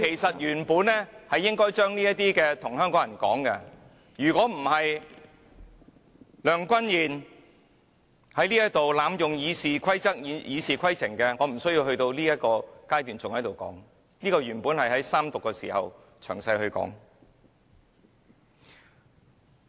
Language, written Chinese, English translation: Cantonese, 我原本就應該將這些話說給香港人知道，如果不是梁君彥在這裏濫用《議事規則》，我也無須在這個階段說這些話，這些原本應該是在三讀時詳細論述的。, I should have said these things to Hongkongers in the first place . Had Andrew LEUNG not abused the Rules of Procedure here I would not have to say these things at this stage . These were supposed to be expounded during Third Reading